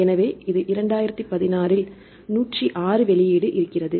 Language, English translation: Tamil, So, this is 2016 106 release